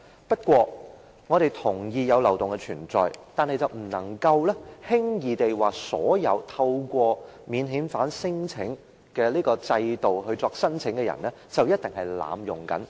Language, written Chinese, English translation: Cantonese, 不過，我們同意有漏洞的存在，但卻不能輕率地說所有透過免遣返聲請制度提出申請的人一定是在濫用制度。, Nonetheless while we recognize the existence of loopholes we cannot recklessly say that all applicants under the mechanism for non - refoulement claims are definitely abusing it